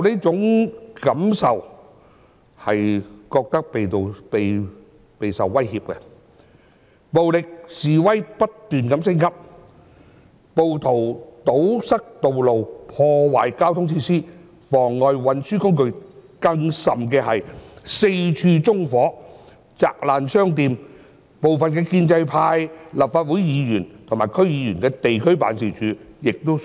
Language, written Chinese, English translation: Cantonese, 最近暴力示威不斷升級，暴徒堵塞道路，破壞交通設施，妨礙運輸工具，更甚是四處縱火，砸爛商店，部分建制派立法會議員及區議員的地區辦事處亦遭殃。, With the recent escalation of violent demonstrations rioters blocked roads sabotaged transport facilities disrupted the operations of various transports and even set fire everywhere as well as vandalized shops . The district offices of some Legislative Council Members and DC members from the pro - establishment camp have become targets of their attacks